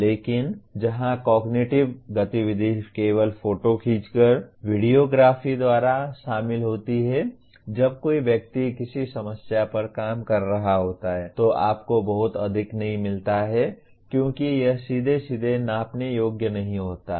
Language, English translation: Hindi, But where cognitive activity is involved by merely photographing, by video graphing when a person is working on a problem does not get you very much because it is not directly measurable